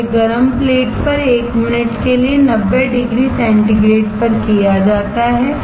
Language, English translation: Hindi, This is done at 90 degrees centigrade for 1 minute on a hot plate